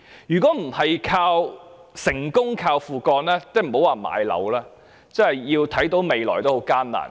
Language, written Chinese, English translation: Cantonese, 如果不是成功"靠父幹"，那莫說買樓，就是想看到未來也很艱難。, If not hinging on fathers deeds it would be very difficult for them to buy their own properties not to mention seeing hope in the future